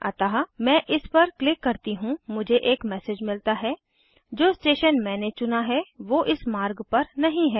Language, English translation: Hindi, So let me click this i get the message The From station that i have selected does not exist on the route choose one of these